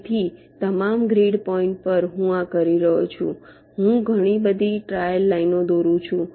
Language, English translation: Gujarati, so, across all the grid points i am doing this, i am drawing so many trail lines